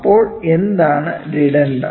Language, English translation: Malayalam, So, what is dedendum